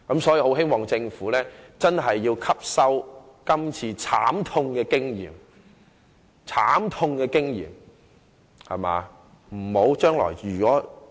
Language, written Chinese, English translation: Cantonese, 所以，我希望政府吸收今次的慘痛經驗，日後再有豐厚盈餘時不要重蹈覆轍。, So I hope the Government will learn from this painful experience and avoid repeating the same mistake when there is a considerable surplus in the future